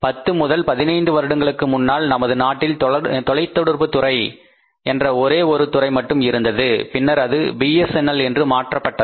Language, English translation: Tamil, Once upon a time if you talk about say 10 15 years back we had only one company that is department of telecommunication that was converted to BSNL